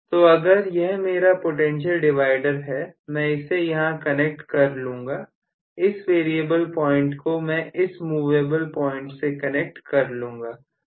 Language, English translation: Hindi, So, if this is my potential divider I will connect here, this variable point I will connect to one of the movable points